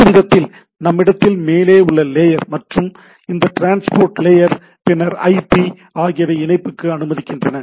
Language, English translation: Tamil, One way that we have upper layer things, then we have this transport layer, then IP which allows me to connect to the thing